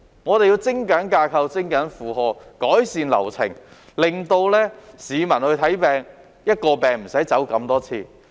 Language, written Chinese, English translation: Cantonese, 我們要精簡架構、減少負荷、改善流程，令市民無須為一種病症而要走這麼多趟。, We have to streamline the structure reduce the burden and enhance the process so that members of the public will not have to pay so many visits for one medical condition